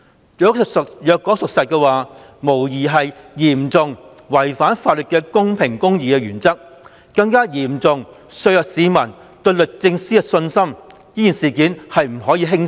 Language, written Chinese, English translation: Cantonese, 如果屬實，有關決定無疑嚴重違反法律公平公義的原則，更嚴重削弱市民對律政司的信心，此事不可輕視。, If all this is true then the relevant decision is undoubtedly in serious breach of the legal principle of fairness and impartiality one which has even greatly dampened peoples confidence in the Department of Justice DoJ . This cannot be taken lightly